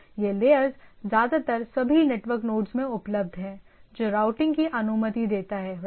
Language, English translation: Hindi, So, these layers are mostly available in all network nodes which allows routing right